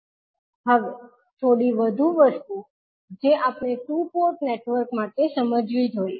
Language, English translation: Gujarati, Now, few more things which we have to understand in for two port network